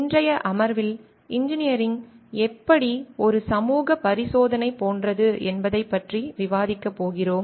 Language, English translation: Tamil, In today s session, we are going to discuss on how Engineering is like a Social Experimentation